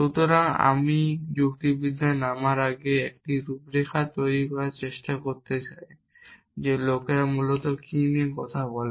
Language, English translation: Bengali, So, before I get into logic I want to sought of try to create a outline of what are the different kind of logics at people talk about essentially